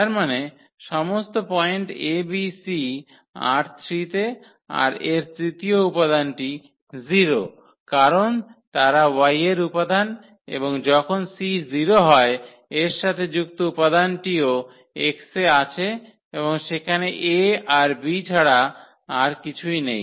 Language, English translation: Bengali, That means, all the points is a b c in R 3 whose the third component is 0 because they are the candidates of the Y and corresponding to when the c is 0 the corresponding element is also there in X and that is nothing but this a and b